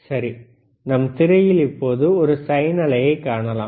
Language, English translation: Tamil, Right now, we can see on the screen there is a sine wave